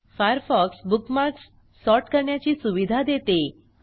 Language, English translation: Marathi, Firefox also allows you to sort bookmarks